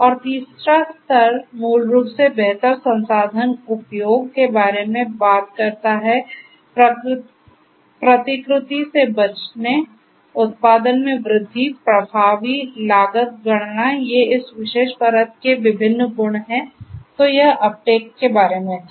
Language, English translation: Hindi, And the third tier basically talks about improved resource utilisation, avoiding replications, growth in production, effective cost computation these are the different properties of this particular layer, so that was Uptake